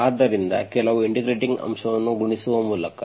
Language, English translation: Kannada, So by multiplying some integrating factor